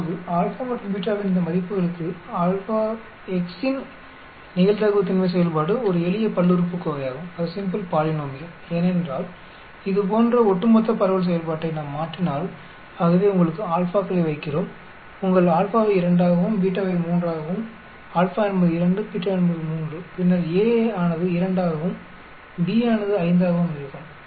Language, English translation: Tamil, Now for these values of alpha and beta, the probability density function of x is a simple polynomial because if we substitute the cumulative distribution function like this, so we put your alphas, your alpha as 2, beta is 3, alpha is 2, beta is 3 and then A as 2, B as 5